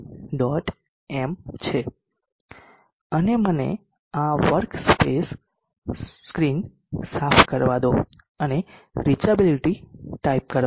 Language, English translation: Gujarati, M and let me clear this work space screen and type in reachability